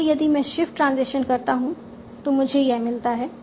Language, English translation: Hindi, So if I do shift, that is what I get